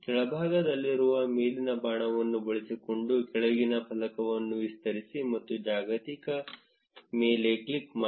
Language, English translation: Kannada, Expand the bottom panel using the up arrow at the bottom, and click on global